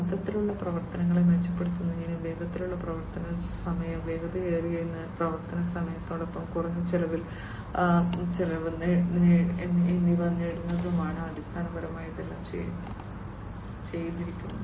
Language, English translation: Malayalam, So, basically all these things have been done in order to improve upon the overall operations and to have faster operating time, lower operational cost with faster operating time